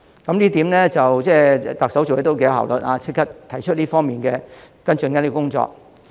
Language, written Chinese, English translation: Cantonese, 這一點，特首做事頗有效率，立即提出這方面的跟進工作。, In this connection the Chief Executive is rather efficient as she has immediately proposed the follow - up actions in this regard